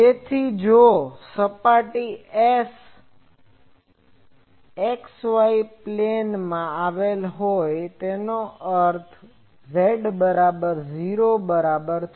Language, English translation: Gujarati, So, if the surface S lies in x y plane; that means, z is equal to 0